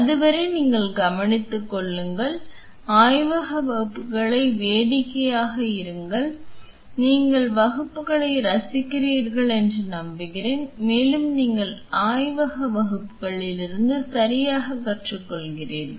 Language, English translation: Tamil, Till then you take care have fun have fun the lab classes I am hoping that you are enjoying lab classes and you are learning from the lab classes right